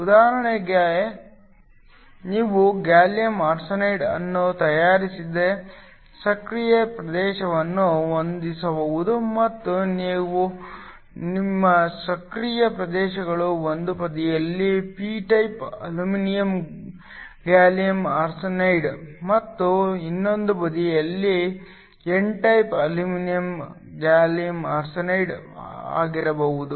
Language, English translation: Kannada, For example, you can have an active region that is made a gallium arsenide and your inactive regions could be P type aluminum gallium arsenide on one side and n type aluminum gallium arsenide on the other